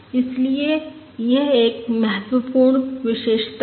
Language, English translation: Hindi, Therefore, this is an important property